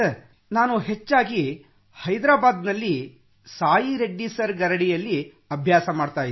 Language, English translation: Kannada, Mostly I have practiced in Hyderabad, Under Sai Reddy sir